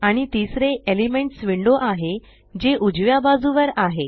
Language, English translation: Marathi, And the third is the Elements window that floats on the right